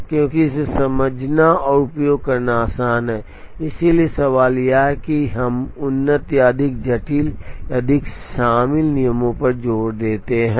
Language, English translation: Hindi, Because, it is easy to understand and use, so the question is do we emphasize on advanced or more complicated or more involved rules